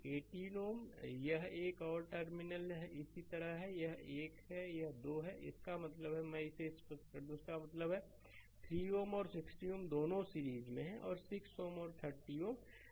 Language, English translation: Hindi, So, 18 ohm and this one and 2 terminal is like this, this is 1 this is 2 right; that means, let me clear it; that means, 3 ohm and 60 ohm this two are in series and 6 ohm and 30 ohm they are in series